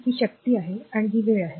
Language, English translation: Marathi, So, this is power and this is your time